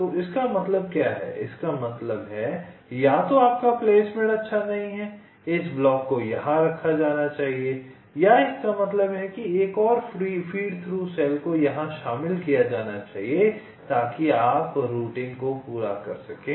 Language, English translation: Hindi, so what it means is that means either your placement is not good this block should have been placed here or means one more feed through cell should have been included here so that you can completes routing